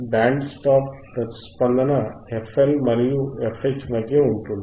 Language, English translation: Telugu, aA band stop response is between f L and your f H right